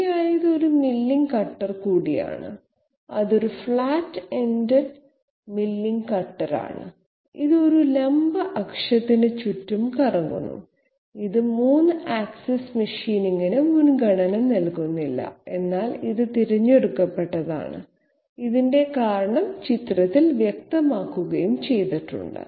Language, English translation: Malayalam, This is also a milling cutter, this is a flat ended milling cutter okay, it is rotating about a vertical axis, this is not preferred for 3 axis machining, but this one is preferred and the reason has been made obvious by the very figure